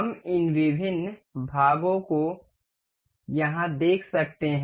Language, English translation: Hindi, We can see this different parts here